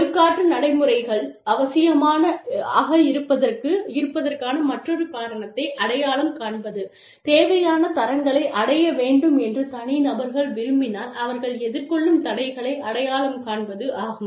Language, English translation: Tamil, And, to identify another reason why, disciplinary procedures are necessary is, to identify obstacles to individuals, achieving the required standards